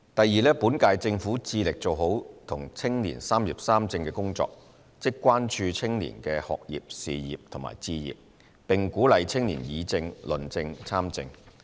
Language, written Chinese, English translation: Cantonese, 二本屆政府致力做好與青年"三業三政"的工作，即關注青年的學業、事業及置業，並鼓勵青年議政、論政及參政。, 2 The current - term Government strives to address young peoples concerns about education career pursuit and home ownership and encourage their participation in politics as well as public policy discussion and debate